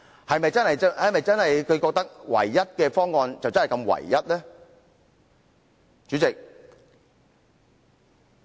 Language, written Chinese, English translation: Cantonese, 代理主席，大家認為是唯一的方案，是否真的就是唯一的呢？, Deputy President are we supposed to take it for real that it is the only option simply because everybody thinks so?